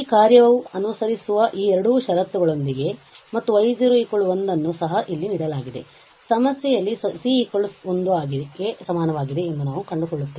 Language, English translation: Kannada, So, with these two conditions which that function follows and also y 0 1 is given here in the problem we find that c is equal to 1